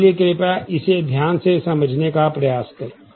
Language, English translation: Hindi, So, please try to follow this carefully